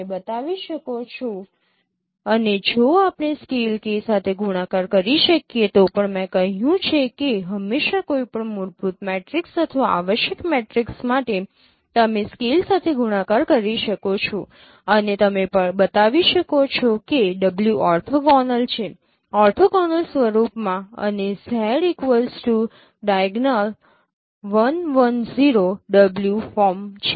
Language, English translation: Gujarati, So some more elaborations that any skew symmetric matrix S can be decomposed into this form you can show and even if you can multiply with a scale K as I mentioned that always for any fundamental matrix or essential matrix you can multiply with a scale and you can show that w is an orthogonal in the orthogonal form and z is a j is diagonal 1 110 w so there is a between Z and W